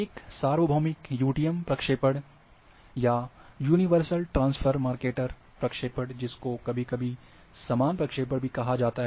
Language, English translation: Hindi, A universal u t m projection, or universal transfers Mercator projection, sometimes is also called as equal area projection